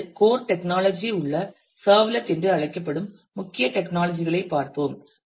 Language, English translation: Tamil, Next let us look into some of the core technologies that are involved the first technology is called a servlet